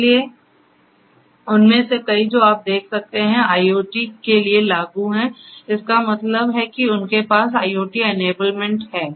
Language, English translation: Hindi, So, many of them as you can see are applicable for IoT; that means they have IoT enablement